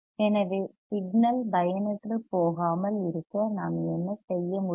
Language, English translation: Tamil, So, what can we do to not let the signal die